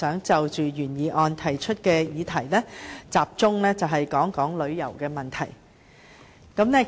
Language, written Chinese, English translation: Cantonese, 就原議案提出的議題，我想集中討論旅遊方面的問題。, As regards the issues presented in the original motion I wish to focus my discussion on issues relating to tourism